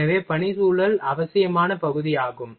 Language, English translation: Tamil, So, work environment is also necessary part